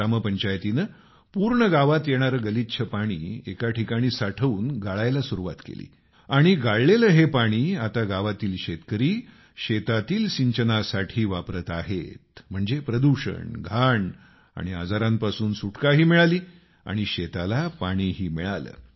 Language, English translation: Marathi, The village Panchayat started filtering the dirty water coming from the village after collecting it at a place, and this filtered water is now being used for irrigation by the farmers of the village, thereby, liberating them from pollution, filth and disease and irrigating the fields too